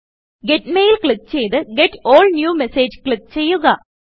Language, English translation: Malayalam, Click Get Mail and click on Get All New Messages